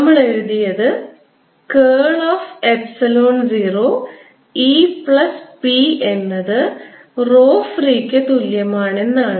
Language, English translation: Malayalam, we wrote: curl of epsilon, zero e plus p, was equal to rho free